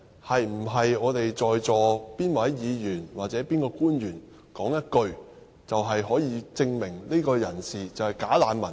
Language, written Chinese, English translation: Cantonese, 是否在座哪位議員和哪位官員說一句話，便可以證明某個人是"假難民"呢？, Can we determine someone is a bogus refugee merely on the basis of a remark made by a Member and public officer who are present in this Chamber? . The answer is no